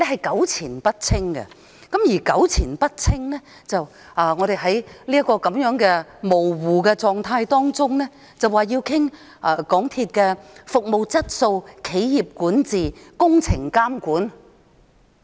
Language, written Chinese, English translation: Cantonese, 港鐵公司弄得糾纏不清，於是，我們便在這種模糊的情況下討論港鐵公司的服務質素、企業管治、工程監管。, MTRCL has got these entangled and consequently we discuss its service quality corporate governance and supervision of works under such ambiguous circumstances